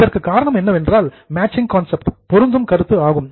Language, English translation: Tamil, It was because of the matching concept